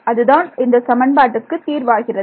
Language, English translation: Tamil, So, how does that translate into a system of equations